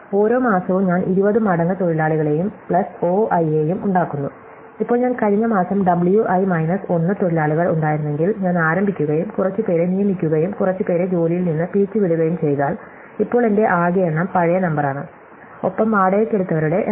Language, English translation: Malayalam, So, each month I make 20 times number of workers plus O i, now if I start if I had W i minus 1 workers last month and I hired a few and fired a few, then the total number I have now is the old number plus the number I’ve hired plus minus the number I’ve fired